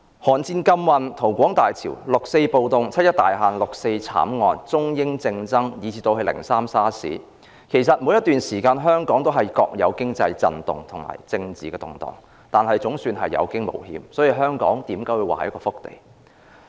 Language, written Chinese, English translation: Cantonese, 韓戰禁運、逃港大潮、六四暴動、七一大限、六四慘案、中英政爭以至"零三 SARS"， 其實香港在每段時間都各有其經濟震動及政治動盪，但總算有驚無險，所以人們說香港是一塊福地。, The embargo in the Korean War the huge influx of Mainlanders to Hong Kong in the 1950s and 1960s the leftist riots the 1 July 1997 deadline the 4 June massacre the political wrangling between the United Kingdom and China and SARS in 2003 have in fact caused economic instability and political turmoil in Hong Kong at different times but Hong Kong has survived against all odds and so people say it is a blessed land